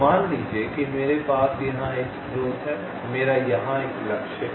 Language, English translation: Hindi, let say i have a source here, i have a target here